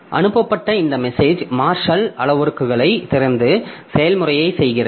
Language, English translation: Tamil, So, it gets this message and unpacks the marshaled parameters and performs the procedure